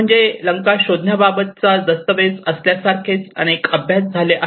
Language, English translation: Marathi, I mean there has been various studies like there is a document on locating Lanka